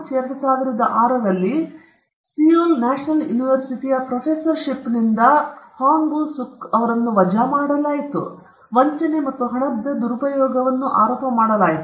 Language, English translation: Kannada, In March 2006, he was fired from his professorship at Seoul National University and was charged with fraud and embezzlement